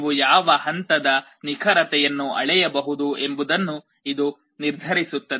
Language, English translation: Kannada, This determines to what level of accuracy you can make the measurement